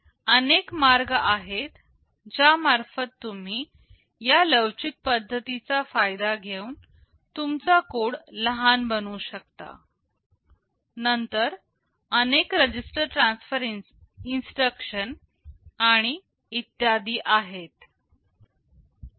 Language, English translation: Marathi, There are many ways in which you can make your code shorter by taking advantage of these flexible methods, then the multiple register transfer instructions, and so on